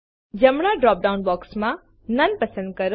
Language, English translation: Gujarati, In the right drop down box, select none